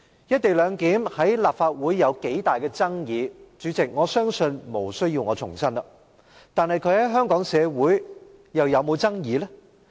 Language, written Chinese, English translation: Cantonese, "一地兩檢"在立法會有多大爭議，主席，我相信無需我重申，但它在香港社會上又有否爭議？, President I believe I do not need to reiterate how much controversy the co - location arrangement has sparked in the Legislative Council but has it caused controversy in Hong Kong society?